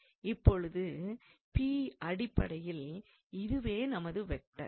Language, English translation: Tamil, And now this is so this P, so this is basically our vector